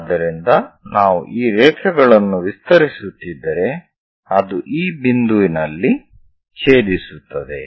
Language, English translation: Kannada, So, if we are extending these lines, it is going to intersect at this point